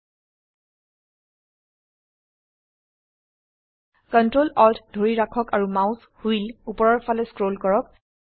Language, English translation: Assamese, Hold ctrl, alt and scroll the mouse wheel upwards